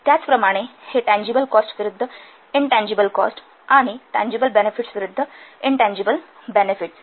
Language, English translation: Marathi, Similarly, this tangible cost versus intangible cost and tangible benefits versus variable benefits